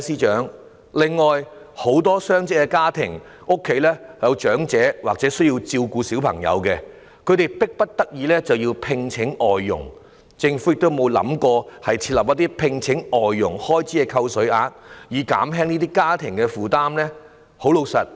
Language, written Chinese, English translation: Cantonese, 此外，很多雙職家庭均有長者或需要照顧的小朋友，他們迫不得已聘請外傭，政府有否考慮就聘請外傭的開支設立扣稅額，以減輕這些家庭的負擔呢？, Moreover many dual - income families consist of elderly people or children who need to be looked after . They cannot but hire foreign domestic helpers . Has the Government considered introducing a tax allowance for expenditure on the employment of foreign domestic helpers so as to relieve these families burden?